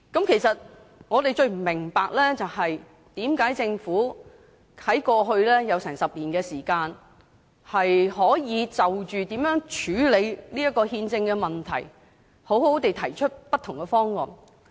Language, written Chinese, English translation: Cantonese, 其實，我們最不明白的是，政府在過去其實有近10年時間可以好好地就如何處理這項憲政問題提出不同的方案。, In fact what we have the greatest trouble in understanding is that in the past the Government had actually almost a decade to put forward various proposals on how to deal with this constitutional issue properly